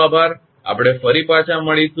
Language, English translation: Gujarati, Thank you we will be back